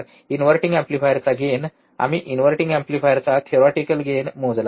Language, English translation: Marathi, Gain of the inverting amplifier, we have measured the theoretical gain of inverting amplifier